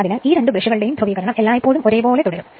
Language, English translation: Malayalam, So, this polarity of these two brush; your two brushes always you will remain same right